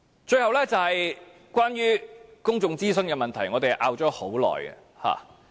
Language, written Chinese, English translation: Cantonese, 最後，是關於公眾諮詢的問題，我們爭拗已久。, The last issue is public consultation about which we have argued for a long time